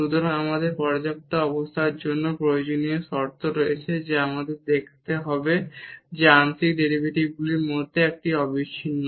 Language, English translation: Bengali, So, we have the necessary conditions for the sufficient condition we have to show that one of the partial derivatives is continuous